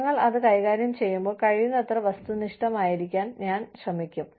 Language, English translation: Malayalam, And, i will try to, you know, be as objective as possible, while we are dealing with it